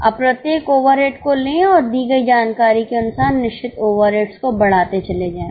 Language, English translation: Hindi, Now take each and every overhead and go on increasing the fixed overheads as for the given information